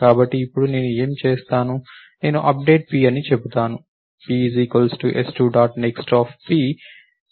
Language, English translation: Telugu, So, now what will I do, I will say update p, p is equal to s2 dot next of p